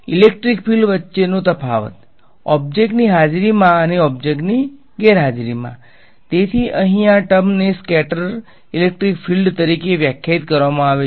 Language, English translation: Gujarati, So, the difference between the electric field in the presence of object and absence of object right; so, this term over here is defined as the scattered electric field ok